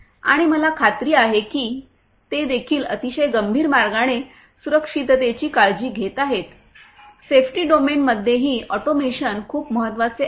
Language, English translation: Marathi, And I am sure they are also taking care of safety in a very serious manner, but you know automation in the safety domain is very important